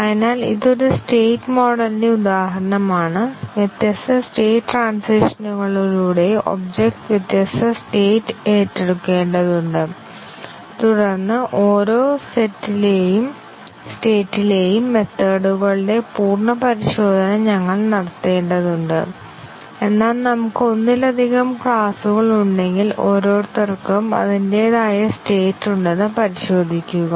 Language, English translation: Malayalam, So, this is an example of a state model and we need to have the object assume different states through the different state transitions and then we need to do full testing of the methods in each of the states, but then if we have multiple classes to be tested each one has its own state